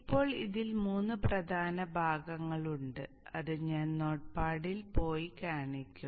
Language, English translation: Malayalam, Now it has three major parts which I will show by going to the not pad